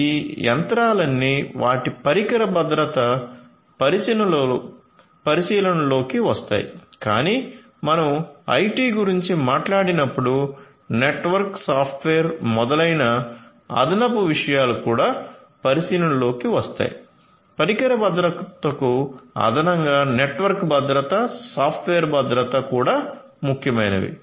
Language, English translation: Telugu, So, all these machinery, their device security, but when you talk about IT additional things such as the network, the software, etcetera also come into picture; so, network security, software security, addition additionally in addition to the device security are also important